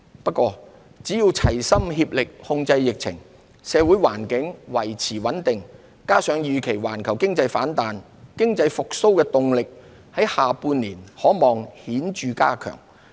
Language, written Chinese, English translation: Cantonese, 不過，只要齊心協力控制疫情，社會環境維持穩定，加上預期環球經濟反彈，經濟復蘇動力下半年可望顯著增強。, Nevertheless as long as the community gathers together to control the epidemic and social stability is maintained economic recovery will likely gain a stronger momentum in the second half of the year in tandem with an expected rebound in the global economy